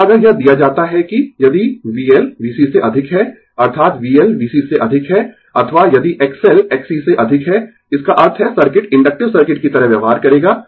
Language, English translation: Hindi, Now, if it is given that if V L greater than V C, that is V L greater than V C or if X L greater than X C right, that means, circuit will behave like inductive circuit